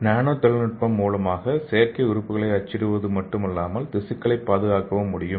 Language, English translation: Tamil, So here the nano technology not only for the printing the artificial organs we can also use the nanotechnology to preserve the tissue